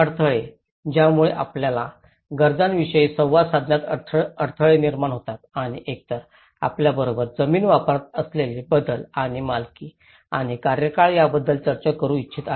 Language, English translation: Marathi, Barriers, this is where causes the barriers in communicating the needs and wants either discussed with you those changes in the land use and the ownership and the tenure